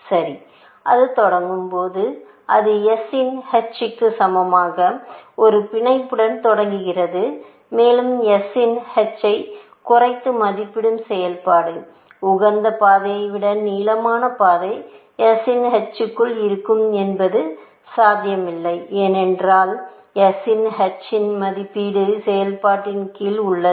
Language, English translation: Tamil, Well, when it starts, it starts with a bound which is equal to h of s, and given that h of s is an underestimating function; it is not possible that a path of length greater than optimal path, will exist within h of s, because h of s is an under estimative function